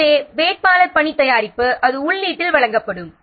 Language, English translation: Tamil, So, the candidate work product, it will be supplied as the input